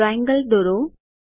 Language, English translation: Gujarati, Here the triangle is drawn